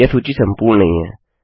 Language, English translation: Hindi, This list isnt exhaustive